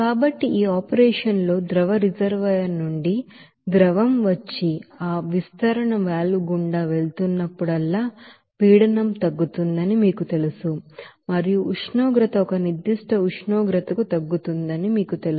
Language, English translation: Telugu, So in this operation you will see that whenever liquid is coming from the liquid reservoir and passing through that expansion valve, the pressure will be you know reduced and temperature will be you know reduced to a certain temperature